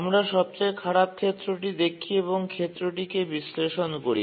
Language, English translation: Bengali, We look at the worst case and do a worst case analysis